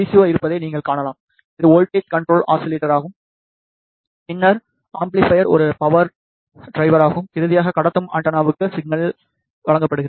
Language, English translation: Tamil, In the transmit change you can see there is a VCO, which is voltage controlled oscillator followed by an amplifier a power divider and finally, the signal is given to the transmitting antenna